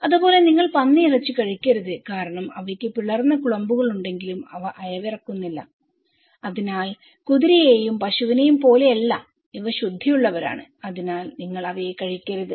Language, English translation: Malayalam, Similarly, you should not eat pork because they have cloven hooves but they don’t chew the cud, so unlike horse and cow so, these are clean who are anomalies, so you should not eat them